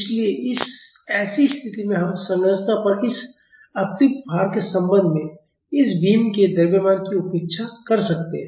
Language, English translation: Hindi, So, in such situations we can neglect the mass of this beam with respect to this additional load on the structure